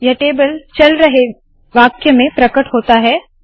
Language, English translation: Hindi, This table appears in a running sentence